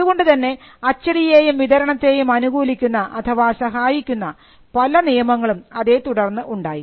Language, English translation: Malayalam, So, we had also various laws favouring printing and circulation